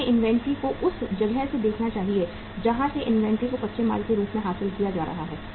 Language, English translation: Hindi, They should look the inventory from the place from where the inventory is being acquired as a raw material